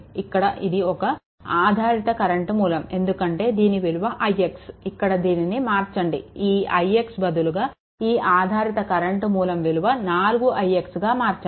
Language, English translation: Telugu, Here, it is a dependent current source i because this i x, here you change the here you change these things thus it should be it should be 4 i x right